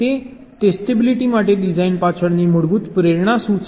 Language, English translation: Gujarati, so what is the basic motivation behind design for testability